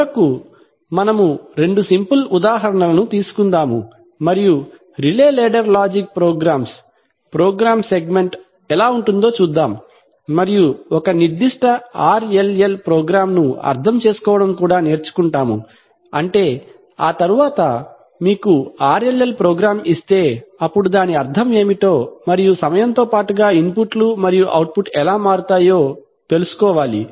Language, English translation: Telugu, And, finally we will take two of the simplest examples and see how exactly a relay ladder logic program, program segment could look like and also would learn to interpret a particular RLL program, that is, after we, if you are given an RLL program then we have to know what it means and how the inputs and outputs will change with time, so we will do that